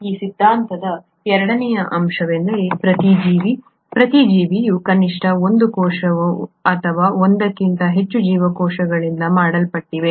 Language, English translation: Kannada, Also the second point of this theory is each organism, each living organism is made up of at least one cell or more than one cell